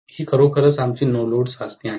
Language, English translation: Marathi, This is actually our no load test, okay